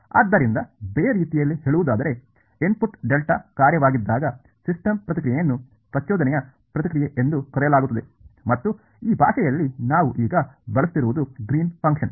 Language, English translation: Kannada, So, in other words the system response when the input is a delta function is called the impulse response and in this language that we are using now its called the greens function